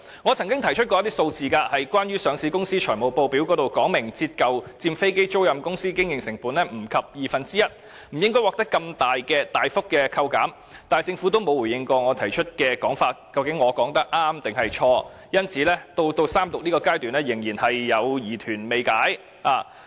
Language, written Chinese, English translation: Cantonese, 我曾經提出一些數字，指上市公司的財務報表也訂明，折舊佔飛機租賃公司經營成本少於二分之一，故此不應獲得如此大幅度的扣減，但政府並沒有回應我的說法是對或錯，所以到了三讀階段，我的疑團仍未能夠解開。, I have quoted some figures to illustrate that even the financial statements of listed companies provided that tax depreciation accounts for less than 50 % of the operating costs of aircraft lessors so it should not be given such a great reduction . Nonetheless the Government has not responded if my argument is correct or not and this is why my concerns remain unaddressed even at the Third Reading stage